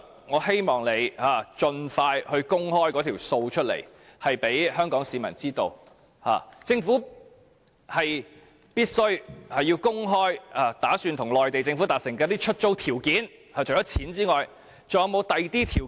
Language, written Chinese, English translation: Cantonese, 我希望陳帆局長盡快向香港市民公開這些帳目，政府必須公開擬與內地政府達成的出租條件，除了金錢，還有否其他條件？, I hope Secretary Frank CHAN will expeditiously disclose these accounts to the people of Hong Kong . The Government must disclose the lease conditions it intends to reach with the Mainland Government . Is there any other condition apart from money?